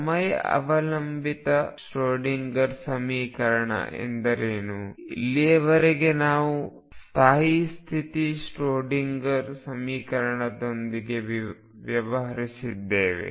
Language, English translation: Kannada, What do you mean by time dependent Schroedinger equation recall that so far, we have dealt with stationary state Schroedinger equation